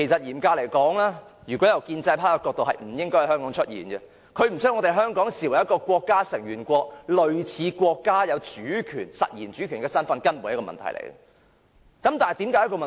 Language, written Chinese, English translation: Cantonese, 嚴格而言，如果以建制派的角度，這問題是不應該在香港出現的，因為他們並不把香港視為國家成員國，類似國家擁有實然主權身份，這根本便是一個問題。, Strictly speaking from the perspective of the pro - establishment camp the problem should not have emerged in Hong Kong because they do not regard Hong Kong as a member state which has de facto sovereign power enjoyed by a country and this is a problem in itself